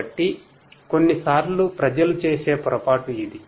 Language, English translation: Telugu, So, sometimes that is a mistake that people commit